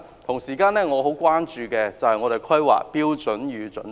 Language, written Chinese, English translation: Cantonese, 同時，我很關注《香港規劃標準與準則》。, Meanwhile I am very concerned about the Hong Kong Planning Standards and Guidelines HKPSG